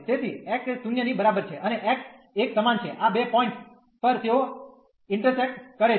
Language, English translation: Gujarati, So, x is equal to 0, and x is equal to 1 at these two points they intersect